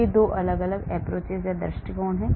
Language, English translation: Hindi, these are the 2 different approaches